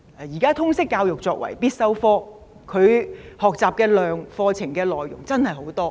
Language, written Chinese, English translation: Cantonese, 現時通識教育作為必修科，課程內容真的很多。, Currently Liberal Studies is a compulsory subject and its curriculum contents are really extensive